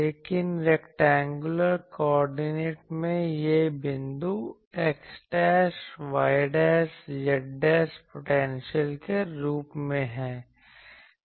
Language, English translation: Hindi, But this point as a in rectangular coordinate this is as x dash y dash z dash potential